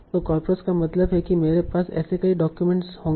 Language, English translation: Hindi, So coppice means I will have multiple such documents